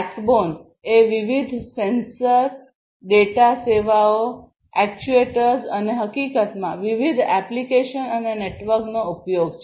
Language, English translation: Gujarati, The backbone is basically use of different sensors, data services, actuators and in fact, the different applications and the network right